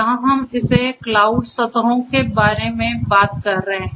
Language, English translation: Hindi, Here we are talking about this cloud surfaces